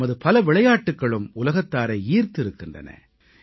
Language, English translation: Tamil, Many of our indigenous sports also attract attention the world over